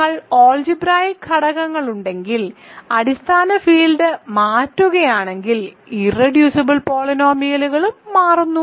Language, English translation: Malayalam, Similarly if you have algebraic elements what is irreducible polynomial also changes if you change the base field